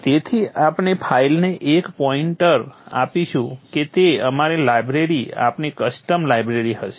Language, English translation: Gujarati, So we will give a pointer to the file that would be our library, our custom library